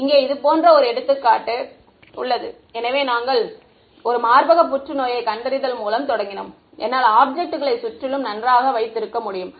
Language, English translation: Tamil, An example where like here; so, we started with example 1 breast cancer detection, I could surround the object very good